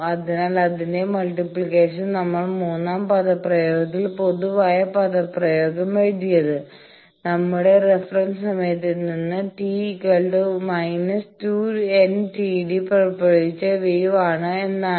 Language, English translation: Malayalam, So, that is why multiplication of that and we have written the general expression at the third expression, that the wave which was emitted minus two n T d back from our reference time